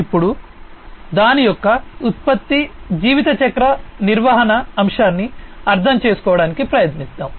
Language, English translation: Telugu, Now, let us try to understand the product lifecycle management aspect of it